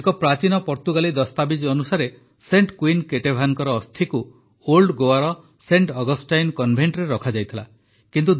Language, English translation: Odia, According to an ancient Portuguese document, the mortal remains of Saint Queen Ketevan were kept in the Saint Augustine Convent of Old Goa